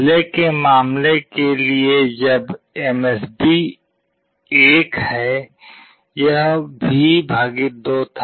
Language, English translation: Hindi, For the earlier case when the MSB is 1, it was V / 2